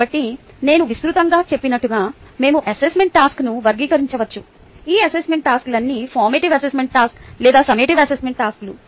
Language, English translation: Telugu, so, as i said, broadly we can classify assessment task, all of these assessment tasks, either formative assessment task or the summative assessment tasks